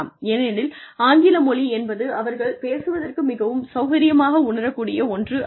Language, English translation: Tamil, Because, English may not be something that, that they will feel comfortable dealing in